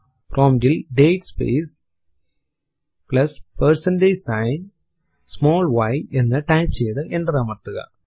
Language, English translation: Malayalam, Type at the prompt date space plus percentage sign small y and press enter